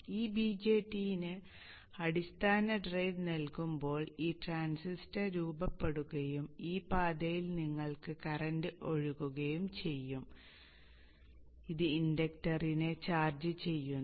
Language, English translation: Malayalam, When the base drive is given to this BJT, this transistor is on and you have the current flowing in this path